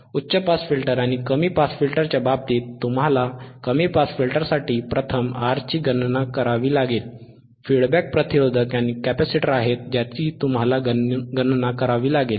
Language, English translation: Marathi, And f first are R you had to calculate for the low pass filter, the feedback it registersresistors and capacitor isare there thatwhich you had to calculate